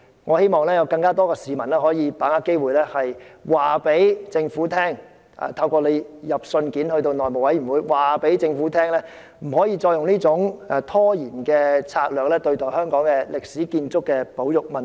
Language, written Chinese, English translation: Cantonese, 我希望有更多市民把握機會，透過致函內務委員會，告訴政府不可以繼續採取這種拖延的策略，對待香港歷史建築物的保育問題。, I hope more members of the public will take this opportunity to write to the House Committee and tell the Government that it should not adopt this stalling tactic to deal with the conservation of Hong Kongs historic buildings